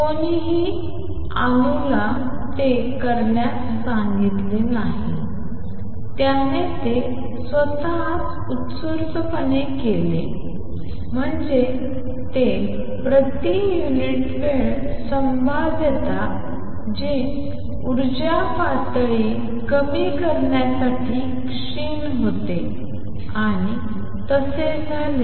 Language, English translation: Marathi, Nobody told the atom to do it, it did it a spontaneously spontaneous means by itself it just though the probability per unit time that decay to lower energy level and it did